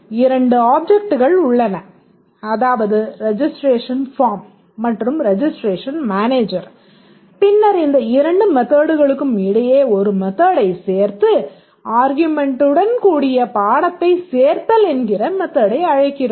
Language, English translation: Tamil, Let's say there are two objects, registration form and registration manager and then we have just added a method here between these two, method called odd course with some argument